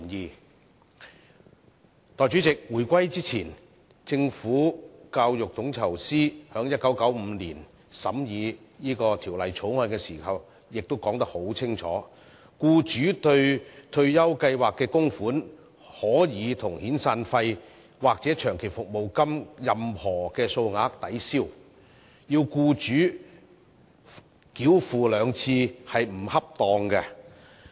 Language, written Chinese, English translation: Cantonese, 代理主席，回歸前，教育統籌司在1995年審議《強制性公積金計劃條例草案》時已清楚說出，"僱主對退休計劃的供款可與遣散費或長期服務金的任何數額抵銷，所以要僱主繳款兩次是不恰當的"。, Before the reunification Deputy President during the scrutiny of the Mandatory Provident Fund Schemes Bill in 1995 the then Secretary for Education and Manpower clearly stated that the employers contributions to a retirement scheme may be set off against any amount paid out for severance payments or long service payments . It is not appropriate to expect employers to pay twice